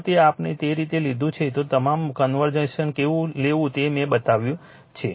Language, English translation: Gujarati, If it is the way we have taken and all versions I have showed you how to take it right